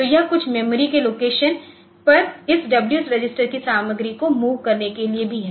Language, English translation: Hindi, So, the this is also for moving to some moving the content of this W register onto some memory location